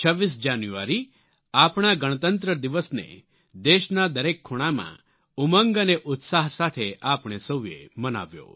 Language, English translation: Gujarati, 26th January, our Republic Day was celebrated with joy and enthusiasm in every nook and corner of the nation by all of us